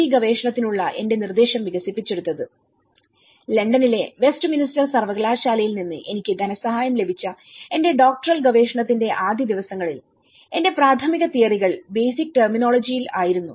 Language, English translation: Malayalam, D research and in the very early days of my Doctoral research which I got funded from the same University of Westminster London, my initial theories were in the basic terminology you know